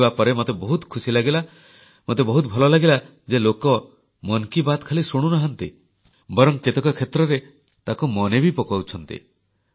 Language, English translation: Odia, I was very happy to hear that people not only listen to 'Mann KI Baat' but also remember it on many occasions